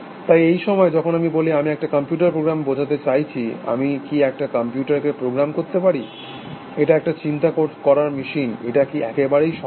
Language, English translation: Bengali, So, when I say, by this time, I mean a computer program, can I program a computers, so it is a thinking machine, is that possible at all